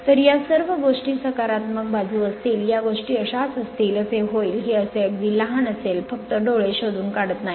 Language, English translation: Marathi, So, this all the things will be positive side, it will be like this, it will be like this, it will be like this very small you cannot make out from your eye just looking into this